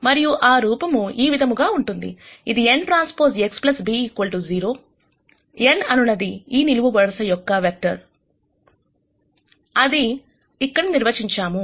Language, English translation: Telugu, And that form is the following which is n transpose X plus b equal to 0, n is this column vector that is de ned here